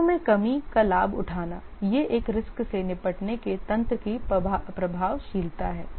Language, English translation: Hindi, The risk reduction leverage, this is the effectiveness of a risk handling mechanism